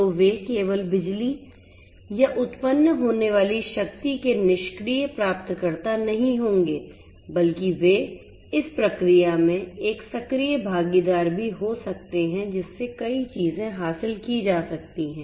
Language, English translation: Hindi, So, they cannot they will not be just the passive recipients of the electricity or the power that is generated, but they can also be an active participant in the process thereby many things can be achieved